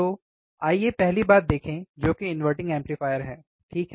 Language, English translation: Hindi, So, let us see first thing which is the inverting amplifier, right